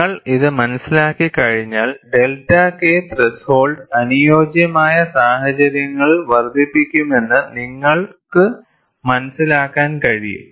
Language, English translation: Malayalam, Once you understand this, then you can appreciate that delta K threshold can increase under suitable conditions